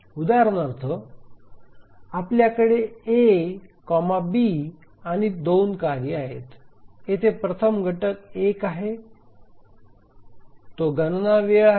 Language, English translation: Marathi, The first example, we have two tasks, A, B, and the first element here is one, is the computation time